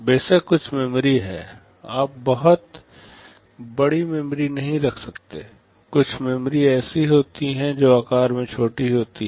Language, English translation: Hindi, There is some memory of course, you cannot have very large memory, some memory is there that is small in size